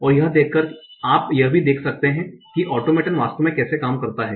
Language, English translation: Hindi, And by seeing that you can also see how the automaton actually works